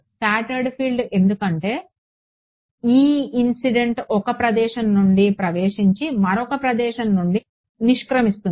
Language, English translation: Telugu, Scatter field because e incident will enter from one place and exit from another place